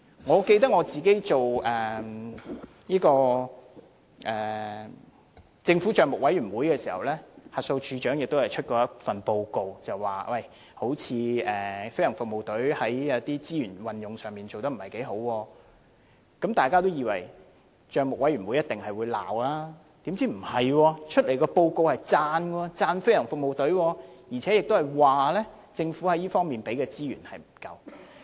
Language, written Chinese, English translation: Cantonese, 我記得我擔任政府帳目委員會成員時，審計署署長曾提交一份報告表示，飛行服務隊似乎在資源運用上做得不太好，大家也認為帳目委員會一定會責備，豈料卻剛好相反，提交的報告是稱讚飛行服務隊，並指政府在這方面提供的資源不足。, I recall that when I was a Member of the Public Accounts Committee PAC the Director of Audit has submitted a report saying that GFS seemed to be not doing well in the usage of resources . We thought that it would be criticized by PAC . On the contrary it is to our surprise that the report submitted was to commend GFS while criticizing the Government for not providing sufficient resources to GFS